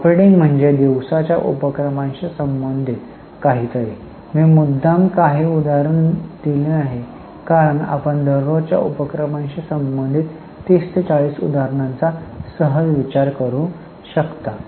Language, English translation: Marathi, I have deliberately not given any example because you can easily think of 30 40 examples related to day to day activities